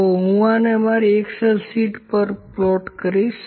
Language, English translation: Gujarati, So, I will just spot these to my excel sheet